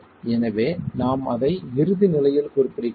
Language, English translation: Tamil, So, we refer to that at the ultimate state